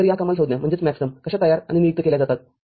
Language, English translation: Marathi, So, how these maxterms are formed and designated